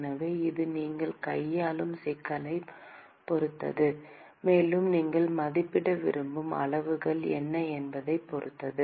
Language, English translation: Tamil, So, it completely depends upon the problem that you are handling, and it depends upon what are the quantities that you want to estimate